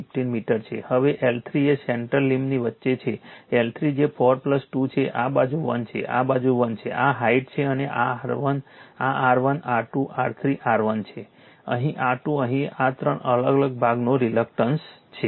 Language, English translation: Gujarati, 15 meter now L 3 is the middle centre limb right, L 3 it is 4 plus 2, this side is 1, this side is 1, this is the height right and this R 1 this R 1 R 2 R 3 R1, here R 2 here this is the your reluctance of the three different portion right